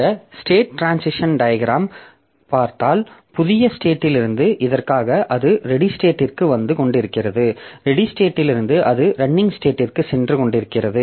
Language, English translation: Tamil, Now from this new state, we look back into this state diagram this from the new state so it was coming to a ready state and from the ready state it was going to the running state